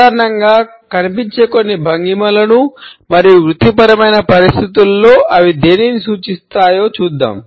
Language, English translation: Telugu, Let us look at some commonly found postures and what do they signify in professional circumstances